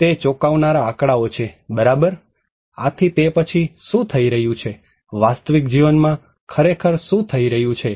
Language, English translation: Gujarati, That is amazing figures right, so what is happening then, what is actually happening in the real life